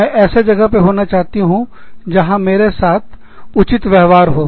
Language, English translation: Hindi, I want to be in a place, where, i am treated fairly